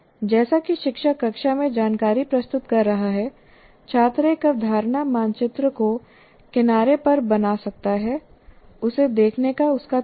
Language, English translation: Hindi, As the teacher is presenting the information in the classroom, I can keep building a concept map on the side, my way of looking at it